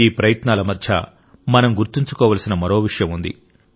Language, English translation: Telugu, And in the midst of all these efforts, we have one more thing to remember